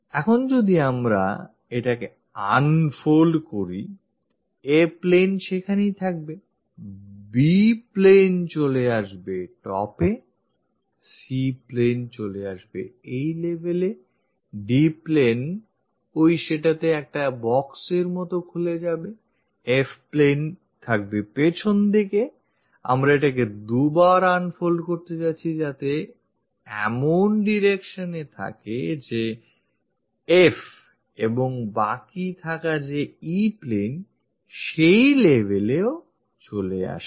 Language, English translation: Bengali, Now, when we are unfolding it; the A plane will be there, the B plane comes on top, the C plane comes at this level, the D plane opens like a box in that one, F plane on the back side, twice we are going to unfold it so that it comes in this direction F and the left over E plane comes at that level